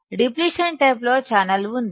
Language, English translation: Telugu, In depletion type, there is a channel